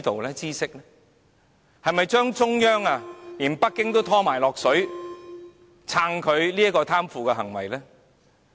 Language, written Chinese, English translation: Cantonese, 他是否想連中央和北京都想拖落水，去支持他這種貪腐行為？, Did he want to get the Central Authorities and Beijing into trouble to support his corruption?